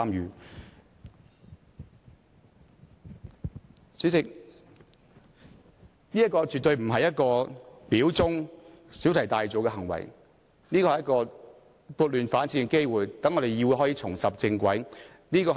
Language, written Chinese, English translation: Cantonese, 代理主席，這個絕對不是表忠或小題大做的行為，這是撥亂反正的機會，讓議會重拾正軌。, Deputy President this is definitely not an attempt to show loyalty or make a mountain out of a molehill but an opportunity to right the wrong and allow this Council to return to the right track